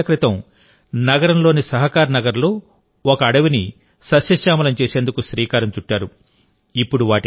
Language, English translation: Telugu, 20 years ago, he had taken the initiative to rejuvenate a forest of Sahakarnagar in the city